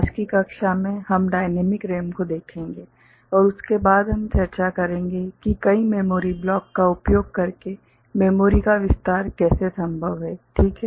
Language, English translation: Hindi, In today’s class, we shall look at dynamic RAM, and after that we shall discuss how memory expansion is possible by using multiple memory blocks, ok